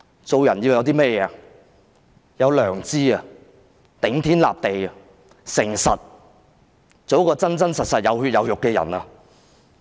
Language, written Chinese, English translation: Cantonese, 做人要有良知、要頂天立地和誠實，做一個真真實實，有血有肉的人。, To be a human being one must have a conscience stand upright with integrity and be a genuine being with flesh and blood